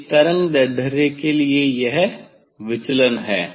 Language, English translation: Hindi, for this wavelength this is the deviation